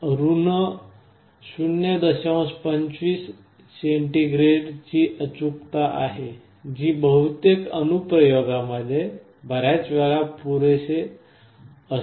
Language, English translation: Marathi, 25oC that is often sufficient in most applications